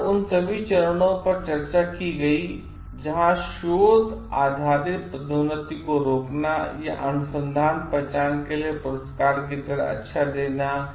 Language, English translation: Hindi, All the steps discussed here where like stopping research based promotions or giving good like awards to for research recognitions